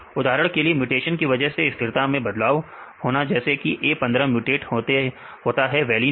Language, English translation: Hindi, For example, a stability change upon mutation for example, A15 is mutated to valine